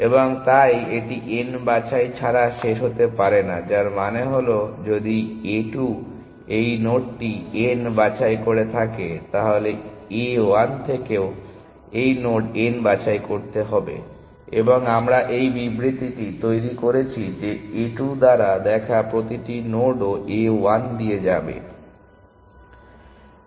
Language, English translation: Bengali, And therefore, it cannot terminate without picking n, which means that if a 2 has pick this node n, A 1 also must pick this node n and which is the statement we are making that every node seen by A 2 will also be seen by A 1